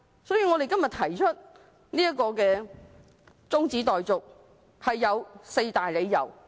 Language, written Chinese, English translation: Cantonese, 所以，我們今天提出中止待續議案，是有四大理由的。, Therefore we have proposed the adjournment motion today for four reasons